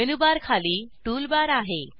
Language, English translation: Marathi, Below the Menu bar there is a Tool bar